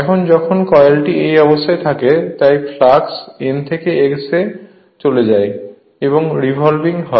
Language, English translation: Bengali, Now when the coil is in like this position right, so flux moving from N to S and it is revolving